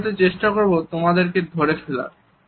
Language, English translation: Bengali, Maybe I will try and catch up with you